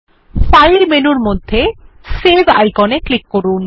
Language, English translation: Bengali, Click on the Save icon that is below the File menu